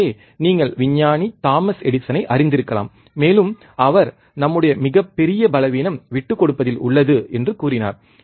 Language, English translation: Tamil, So, you may be knowing the scientist Thomas Edison, and he said that our greatest weakness lies in giving up